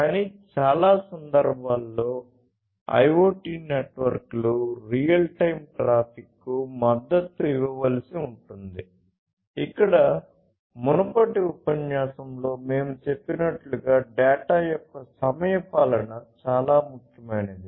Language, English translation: Telugu, But, in most cases IoT networks would have to support real time traffic, where the timeliness of the data as we said previously in the previous lecture is very important